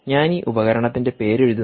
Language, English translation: Malayalam, i will write down the name of this device